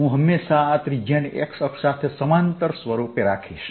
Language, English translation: Gujarati, i can always take this radius to be along the x axis